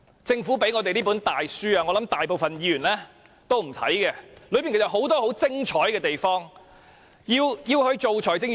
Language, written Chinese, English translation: Cantonese, 政府給我們的這本大書，我想大部分議員也不會看，但當中其實有很多很精彩的地方。, The Government has given us this book . I guess most Members will not read it but actually many parts of it are amazing